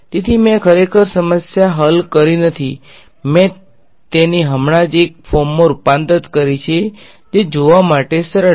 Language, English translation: Gujarati, So, I have not actually solved the problem, I have just converted it into a form that is easier to look at